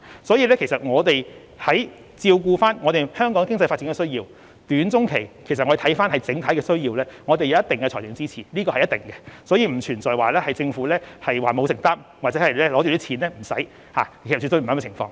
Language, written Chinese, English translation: Cantonese, 所以，為照顧香港的短、中期經濟發展需要，我們會視乎整體情況給予一定的財政支持，這是必然的，並不存在政府不作承擔或有錢不花，絕對不會出現這種情況。, Hence in order to address the short - and medium - term economic development needs of Hong Kong we will take into account the overall situation and provide certain financial support . We will certainly do so and there is no question of a lack of commitment or a refusal to spend money on the part of the Government absolutely no